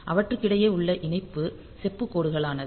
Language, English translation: Tamil, So, between them the connection is the copper line